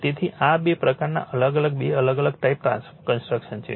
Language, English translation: Gujarati, So, these are the two type differenttwo different type of construction